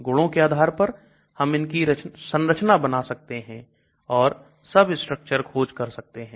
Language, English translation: Hindi, We can draw structures and also we can do a substructure search and we can do based on properties